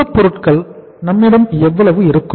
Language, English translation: Tamil, How much raw material we will have